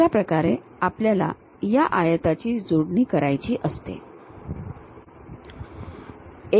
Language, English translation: Marathi, That is the way we have to join these rectangles